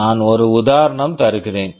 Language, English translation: Tamil, I am giving one example